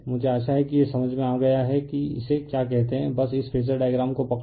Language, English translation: Hindi, I hope you have understood this say your what you call this thisjust hold on this phasor diagram